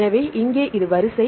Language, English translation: Tamil, So, here this is the sequence